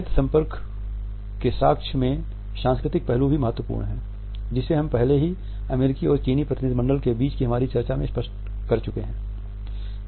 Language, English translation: Hindi, Cultural aspects in the evidence of eye contact are also important as we have already seen in our discussion of the situation which has emerged between the American and the Chinese delegation